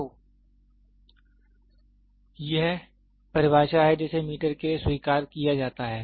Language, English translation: Hindi, So, this is the definition which is accepted for meter